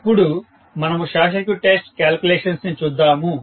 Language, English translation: Telugu, So, let us look at now the short circuit test calculations